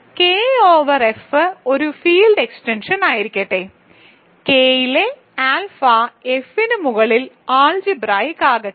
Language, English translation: Malayalam, Let K over F be a field extension and let alpha in K be algebraic over F